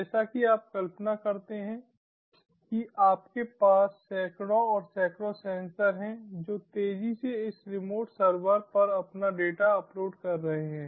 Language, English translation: Hindi, as in imagine, you have hundreds and hundreds of sensors all rapidly uploading their data to this remote server